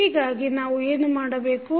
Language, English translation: Kannada, So, what we have done